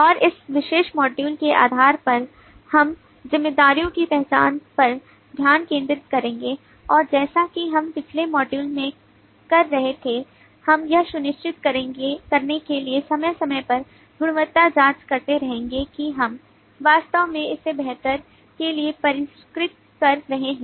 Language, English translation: Hindi, and based on that this particular module we will focus on the identification of responsibilities and as we had been doing in the lat module we will continue to do periodic quality checks to make sure that we are actually refining it for the better